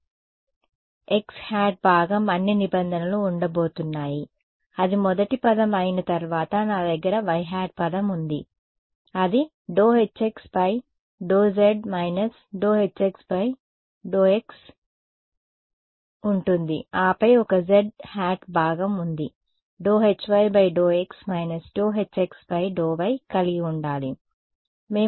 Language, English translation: Telugu, So, the x hat component what all terms are going to be there that is a first term then I have a y hat term which is y by sorry it is going to be H x z minus H z x and then will have a z hat component it should have a d by dx H x d y